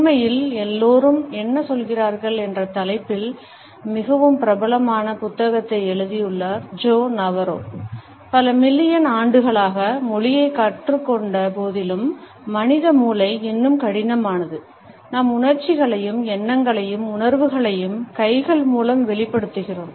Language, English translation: Tamil, In fact, Joe Navarro who has authored a very popular book entitled, What Everybody is Saying has commented that despite having learnt language, over millions of years, human brain is still hardwired to actually, communicating our emotions and thoughts and sentiments with the help of our hands